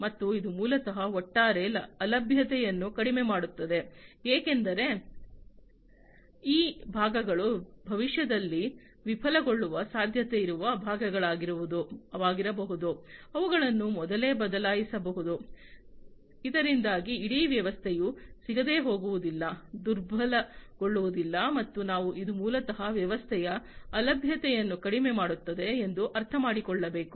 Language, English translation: Kannada, And this basically will reduce the overall downtime, because these parts can be the, the parts which are likely to be failed in the future, they can be replaced beforehand, you know, so that the entire system does not get, you know does not get crippled and as we can understand that this basically will reduce the downtime of the system